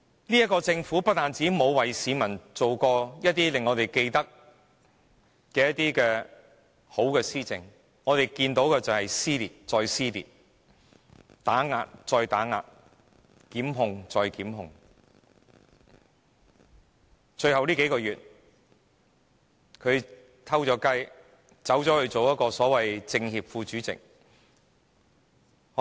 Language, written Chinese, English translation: Cantonese, 這個政府不但未曾推行令市民記得的良好施政，我們只看到撕裂再撕裂，打壓再打壓，檢控再檢控，最後數個月，他鑽空子出任政協副主席。, Not only did the Government fail to implement good policy initiatives to impress the people it has only shown us over and again dissension oppression and prosecution . In the last few months of his term of office he has found a loophole and became a Vice - chairman of the National Committee of the Chinese Peoples Political Consultative Conference NCCPPCC